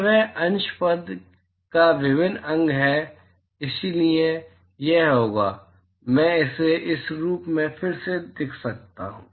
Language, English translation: Hindi, It is integral of the numerator term there so, that will be; I can rewrite this as